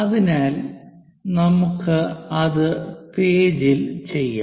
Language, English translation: Malayalam, So, let us do that on page